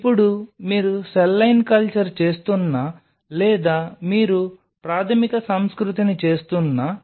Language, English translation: Telugu, Now, whether you what doing a cell line culture or you are doing a primary culture